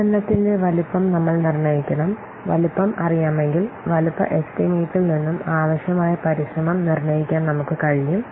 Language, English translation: Malayalam, And if the size is known, from the size estimate, we can determine the effort needed